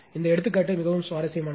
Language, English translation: Tamil, This example is very interesting one right